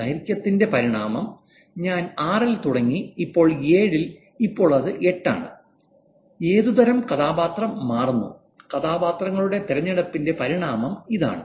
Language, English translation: Malayalam, I started with six, now it is seven, now it is eight, what kind of characters are changing, evolution of choice of characters